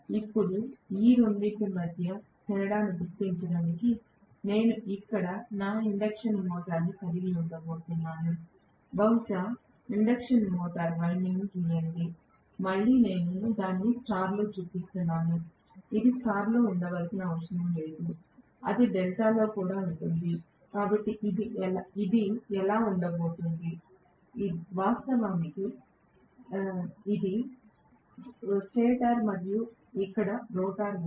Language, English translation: Telugu, Now, I am going to have my induction motor here just to differentiate between these two, let me probably draw the induction motor winding, again I have showing it in star it need not be in star it can be in delta as well, so this how it is going to be, so this is actually the stator and here is the rotor